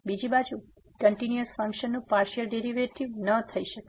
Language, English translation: Gujarati, On the other hand, a continuous function may not have partial derivatives